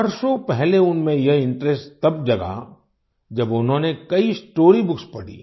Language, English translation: Hindi, Years ago, this interest arose in him when he read several story books